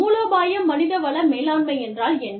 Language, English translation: Tamil, What is strategic human resource management